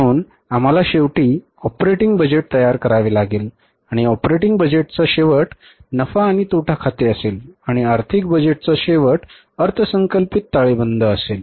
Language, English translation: Marathi, So, we have to finally prepare the operating budget and the end of the operating budget will be the profit and loss account, budgeted profit and loss account and end of the financial budget will be the budgeted balance sheet